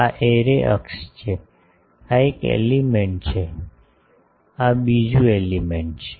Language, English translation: Gujarati, This is the array axis, this is one element, this is another element